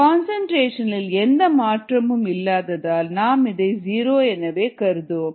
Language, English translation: Tamil, since there is no change in concentration, that goes to be, that goes to zero